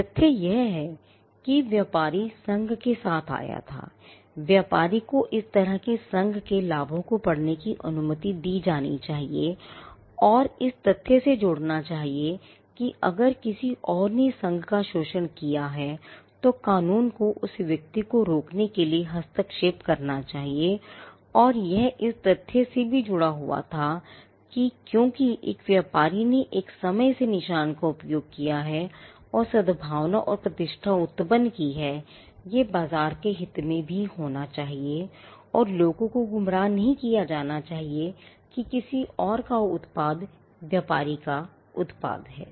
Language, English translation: Hindi, The fact that, the trader came up with the association, the trader should be allowed to read the benefits of such association and link to this is the fact that if someone else exploited the association then, the law should intervene to stop that person and this also had was tied to the fact that, that because a trader has used the mark over a period of time and has generated goodwill and reputation, it should be in the interest of the market as well that, people are not misled in into believing that, someone else’s product is that of the traders product